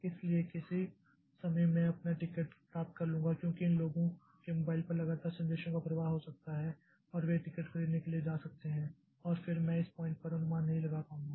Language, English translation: Hindi, So, I cannot say that this will so at some point of time I will get my ticket because there may be continuous flow of messages to the mobiles of these people and they can go on buying tickets and then I will not be able to do an estimate at this point